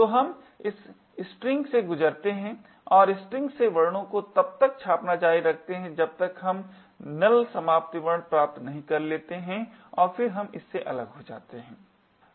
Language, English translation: Hindi, So, we pass through this string and continue to print characters from the string until we obtain the null termination character and then we break from this